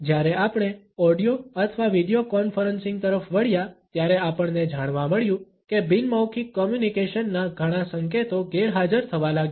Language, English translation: Gujarati, When we shifted to audio or video conferencing, we found that many cues of nonverbal communication started to become absent